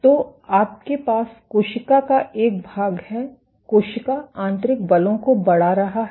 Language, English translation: Hindi, So, what you have is a section of the cell, the cell is exerting internal forces